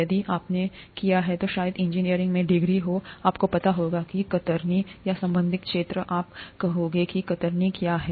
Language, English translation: Hindi, If you have done, probably a degree in engineering, you would know what shear is or related fields, you would know what shear is